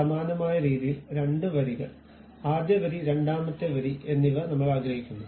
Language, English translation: Malayalam, Similar way we would like to have two rows, first row and second row we would like to have